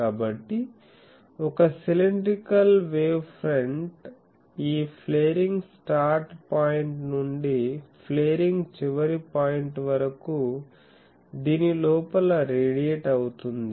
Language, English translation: Telugu, So, a cylindrical wave front is radiated inside this from this flaring start point to the flaring end point